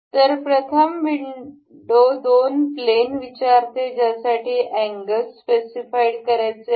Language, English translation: Marathi, So, the first window ask the two planes that are to be for which the angles are to be specified